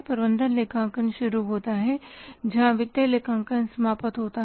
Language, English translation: Hindi, Management accounting starts where the cost accounting ends